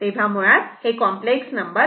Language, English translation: Marathi, It is a complex number